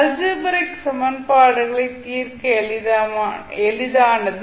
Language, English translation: Tamil, The algebraic equations are more easier to solve